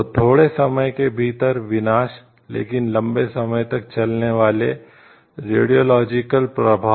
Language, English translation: Hindi, So, destructions caused within a short time, but having a long lasting radiological effect